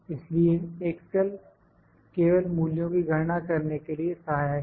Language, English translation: Hindi, So, excel is just helpful in just calculating with the values